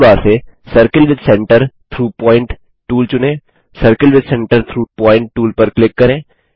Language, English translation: Hindi, Lets select the circle with centre through point tool from tool bar click on the circle with centre through point tool